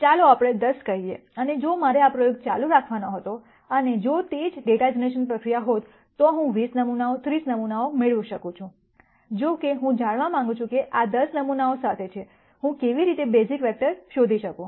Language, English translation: Gujarati, Let us say 10 and if I were to continue this experiment and if it was the same data generation process, I might get 20 samples 30 samples and so on; however, what I want to know is with these 10 samples, how do I nd the basis vectors